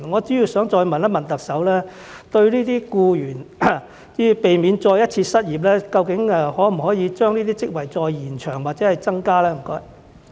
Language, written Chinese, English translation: Cantonese, 所以，我想再問特首，對於這些僱員，避免他們再次失業，究竟可否把這些職位再延長或增加呢？, Therefore may I ask the Chief Executive again whether she can extend the term of employment of these posts or create some other posts for these employees so as to prevent them from losing their jobs again?